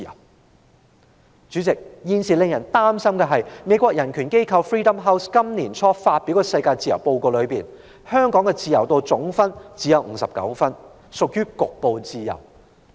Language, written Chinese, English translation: Cantonese, 代理主席，令人擔心的是，根據美國人權機構 Freedom House 在年初發表的世界自由年度報告，香港的自由度只有59分，屬於局部自由。, Deputy President what is worrying is that according to Freedom in the World an annual report published by Freedom House a human rights organization in the United States Hong Kong only has a score of 59 marks in respect of the degree of freedom falling into the category of partly free places